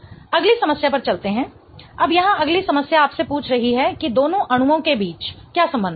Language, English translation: Hindi, Now, the next problem here is asking you about what is the relationship between the two molecules